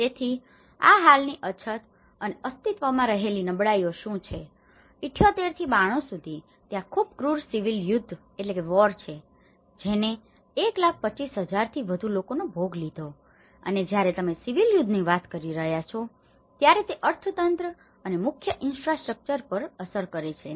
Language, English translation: Gujarati, So, what are these existing shortages, existing vulnerabilities, from 78 to 92 there is a very cruel civil war which has killed more than 125,000 people and the moment you are talking about a civil war it have impact on the economy and the major infrastructures